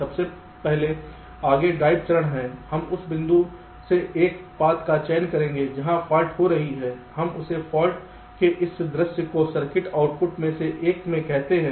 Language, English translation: Hindi, we will select a path from the point where the fault is occurring we call it this sight of the fault to one of the circuit outputs